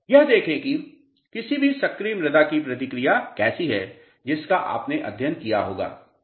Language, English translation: Hindi, See this is how the response of any active soils which you must have studied